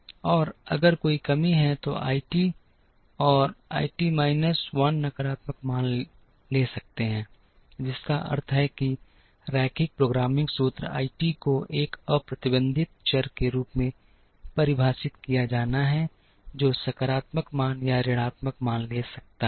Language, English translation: Hindi, And if there are shortage then I t and I t minus 1 can take negative values, which means in the linear programming formulation I t has to be defined, as a unrestricted variable which can take positive value or a negative value